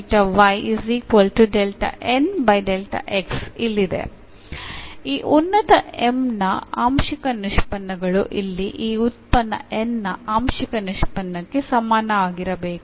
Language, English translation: Kannada, So, the partial derivative of this function M should be equal to the partial derivative of this function N here